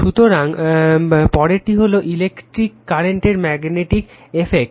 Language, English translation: Bengali, So, next is your the magnetic effects of electric current